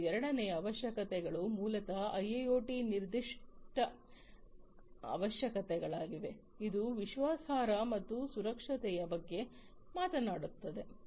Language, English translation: Kannada, And the second set of requirements are basically the IIoT specific requirements, which talk about reliability and safety